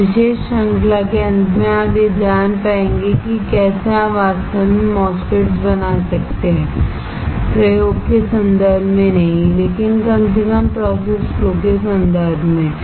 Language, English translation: Hindi, At the end of this particular series you will be able to know, how you can fabricate a MOSFETs not actually in terms of experimentation, but at least in terms of process flow